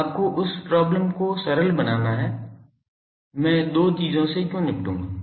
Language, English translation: Hindi, Now, to simplify you see that problem that; why I will deal with the 2 things